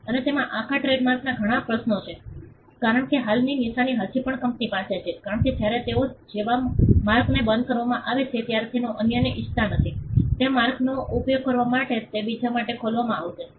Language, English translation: Gujarati, And that has whole lot of trademark issues, because the existing mark is still held by the company, because they do not want others when a mark like that is discontinued, it will not be opened for others to use that mark